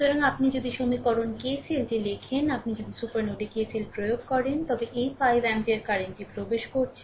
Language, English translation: Bengali, So, if you if you write down the equation KCL, if you apply KCL at the supernode, right, then this 5 ampere current is entering